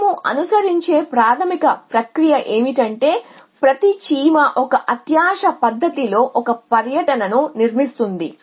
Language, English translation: Telugu, The basic process that we will follow is at each ant constructs a tour in a greedy fashion